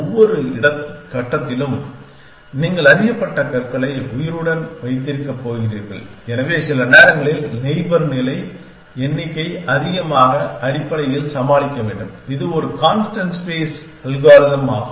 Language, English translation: Tamil, You are going to keep beam known at every stage alive and so times number of neighbors is a maximum have to deal with essentially that is a constant space algorithm